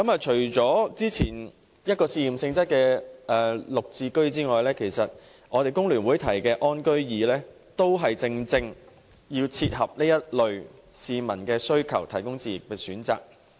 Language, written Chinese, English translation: Cantonese, 除了早前推出試驗性質的綠表置居先導計劃外，工聯會提議的"安居易"，亦正切合這類市民的需求，為他們提供置業的選擇。, Besides the Green Form Subsidised Home Ownership Pilot Scheme launched earlier the Easy Home Ownership Scheme proposed by FTU meets the needs of this type of people and provides them with an option of home acquisition